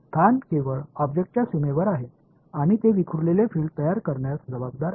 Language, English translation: Marathi, The location is only on the boundary of the object and they are responsible for creating the scattered field